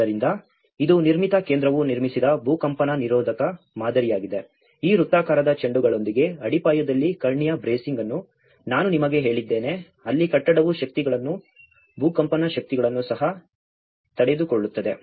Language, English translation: Kannada, So, this is the earthquake resistant model built by Nirmithi Kendra as I said to you the diagonal bracing in the foundation with these circular balls where the building can bear the forces, the earthquake forces as well